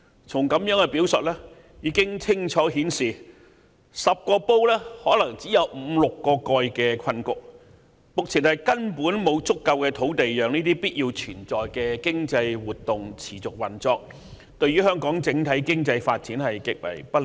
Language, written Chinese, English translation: Cantonese, 從以上表述已可清楚顯示，在這方面將出現10個煲可能只有五六個蓋的困局，目前根本沒有足夠土地讓這些必須存在的經濟活動持續運作，這對香港的整體經濟發展將極為不利。, The aforesaid remarks have clearly shown that we will be trapped in the predicament of having only five to six lids for ten pots and there is simply not enough land at present to ensure the continual operation of these essential economic activities . This is extremely unfavourable to the overall economic development of Hong Kong